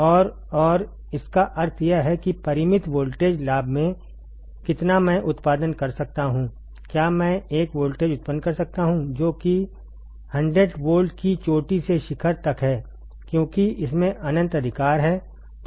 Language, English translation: Hindi, And it has how much in finite voltage gain that means, at the output can I generate, can I generate a voltage which is 100 volts peak to peak because it has infinite right